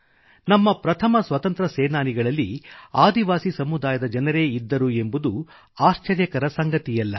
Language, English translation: Kannada, There is no wonder that our foremost freedom fighters were the brave people from our tribal communities